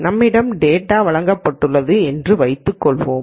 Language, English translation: Tamil, So, let us assume that we are given data